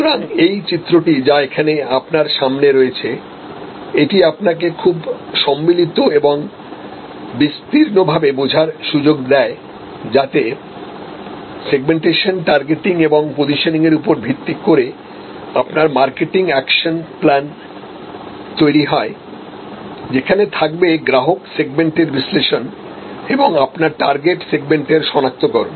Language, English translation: Bengali, So, this diagram, which is in front of you here, that gives you a very composite and comprehensive understanding that to create your segmentation targeting positioning based marketing action plan will be based on analysing customer segment, creating the identification for the your target segment